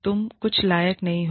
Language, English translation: Hindi, You are good for nothing